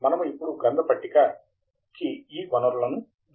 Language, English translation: Telugu, We now need to add the bibliographic resources in this